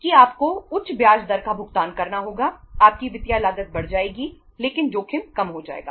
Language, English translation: Hindi, That you have to pay the higher interest rate your financial cost will increase but the risk will go down